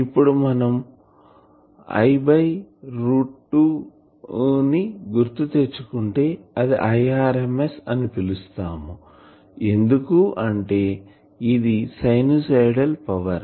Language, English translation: Telugu, Now so, from here actually if I call that I by root 2, I will call it as I rms because it is a sinusoidal power